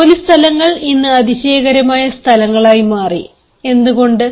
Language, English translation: Malayalam, work places have become wonderful places today